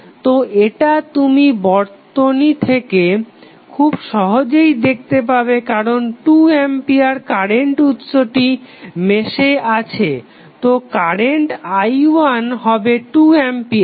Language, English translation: Bengali, So, this you can easily see from the circuit because 2 ampere is the current source which is available in the mesh so the current i 1 was nothing but 2 ampere